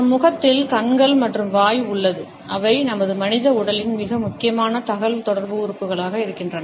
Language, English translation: Tamil, Our face has eyes and mouth, which are the most communicative organs in our human body